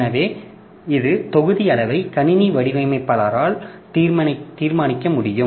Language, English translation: Tamil, So, it can be the block size can be determined by the system designer